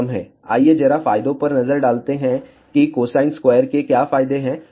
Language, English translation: Hindi, Let just look at the advantages, what are the advantages of cosine squared